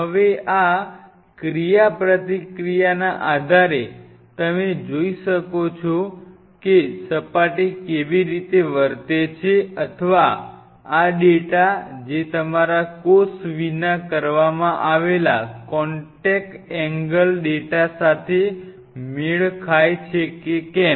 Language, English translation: Gujarati, Now based on this interaction you can see how the surface is behaving or this does this data matches with your contact angle data which was done without the cell